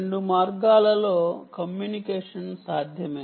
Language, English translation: Telugu, two way communication is possible